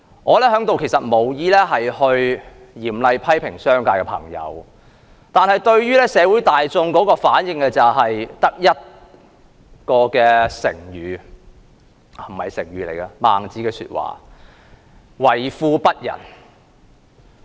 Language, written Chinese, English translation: Cantonese, 我無意在此嚴厲批評商界的朋友，但社會大眾對於他們的反應，我只能用一句孟子的說話來形容，就是為富不仁。, I have no intention to severely criticize people from the business sector but with regard to the reaction of the general public I can only cite the saying of Mencius and describe them as being rich but heartless